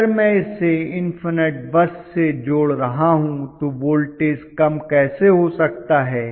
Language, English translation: Hindi, If I am connecting it to infinite bus, how can the voltage go to lower values